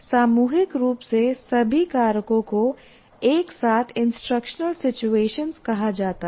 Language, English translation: Hindi, So collectively all the factors together are called instructional situation